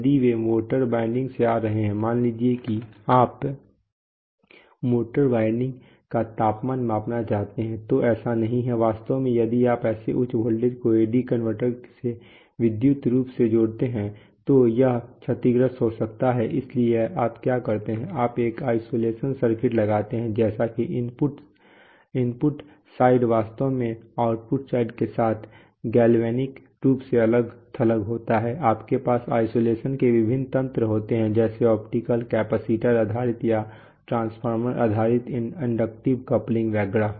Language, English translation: Hindi, If they are coming from let us say a motor winding suppose you want to measure a motor winding temperature, so it's not, in fact if you connect such high voltages to the AD converter electrically it might, it will get, it might get damaged, so therefore what you do is, you put an isolation circuit such that the input side is actually galvanically isolated with the output side, you have various mechanisms of isolation like optical like, you know, capacitor based or transfer transformer based inductive coupling etcetera